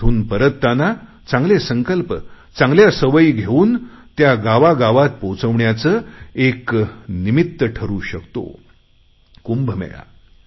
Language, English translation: Marathi, It can become a reason to carry good resolutions and good habits to all the villages